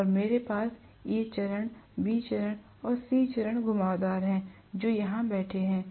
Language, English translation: Hindi, And I am going to have the A phase, B phase and C phase windings sitting here